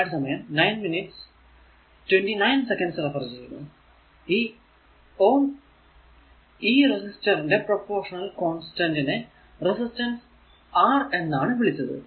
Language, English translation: Malayalam, Ohm defined the constant of proportionality for a resistor to be resistance R